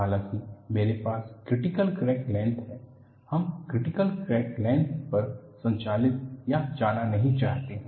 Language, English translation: Hindi, Though I have what is known as critical crack length, we do not want to operate or go up to a critical crack length